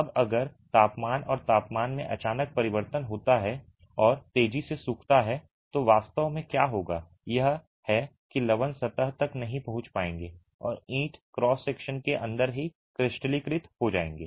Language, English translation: Hindi, Now if there is sudden changes in temperature and spikes in temperature and there is rapid drying, what will actually happen is those salts may not be able to reach the surface and will crystallize inside the brick cross section itself